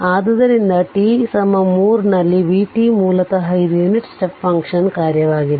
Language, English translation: Kannada, So, v t basically it is a function of your what you called unit step function